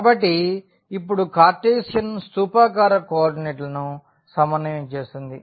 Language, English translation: Telugu, So now, the Cartesian co ordinate to cylindrical coordinates